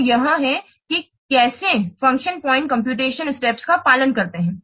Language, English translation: Hindi, So this is how the function point computation steps they follow